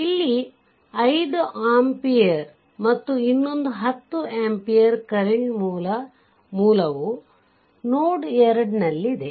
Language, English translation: Kannada, Here is 5 amperes and another 10 ampere current source is there at node 2